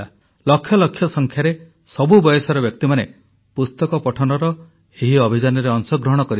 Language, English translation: Odia, Participants hailing from every age group in lakhs, participated in this campaign to read books